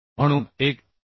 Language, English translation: Marathi, 6 so 7